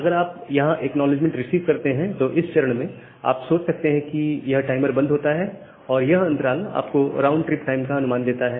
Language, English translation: Hindi, So, if you receive the acknowledgement here so at this stage you can think of that well this the timer stops here and this difference will give you an estimation of round trip time